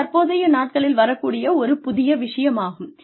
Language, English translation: Tamil, This is the new thing, that is coming up, these days